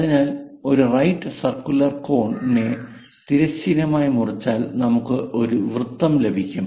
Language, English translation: Malayalam, So, circle we will get it by slicing it horizontally to a right circular cone